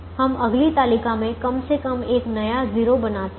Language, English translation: Hindi, so we create atleast one new zero in the next table